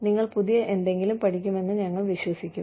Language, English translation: Malayalam, We will trust that, you will learn something, new